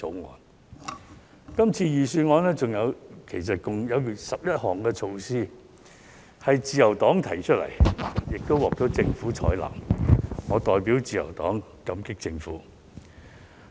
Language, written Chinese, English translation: Cantonese, 在這次財政預算案中，其實共有11項措施是由自由黨提出，並獲政府採納的，我代表自由黨感激政府。, In this Budget a total of 11 measures were actually first proposed by the Liberal Party and then accepted by the Government . On behalf of the Liberal Party I express our gratitude to the Government